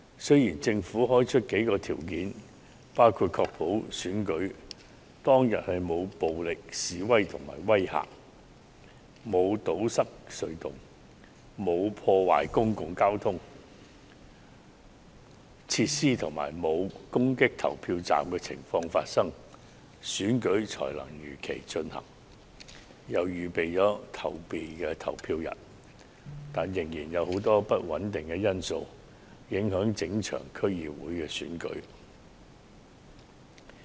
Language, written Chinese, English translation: Cantonese, 雖然政府表示，在確保選舉當天沒有出現暴力示威或威嚇、沒有堵塞隧道、沒有破壞公共交通工具設施及沒有攻擊投票站等行為的情況下，選舉才會如期舉行，當局並已預定了後備投票日，但實際上仍有許多不穩定因素會影響整場區議會選舉。, The Government has indicated that the election will only be held as scheduled if there is no violent protest no intimidation no blocked tunnels no vandalized public transport facility and no attack on polling stations on the day of the election; and that the authorities have reserved a date as a backup for voting . However there are still many uncertainties which may affect the DC Election